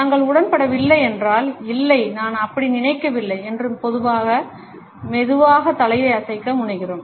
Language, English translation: Tamil, If we disagree, we tend to slowly shake our heads, “No, I do not think so